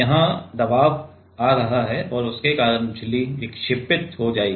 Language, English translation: Hindi, Here the pressure is coming and because of that the membrane will deflect right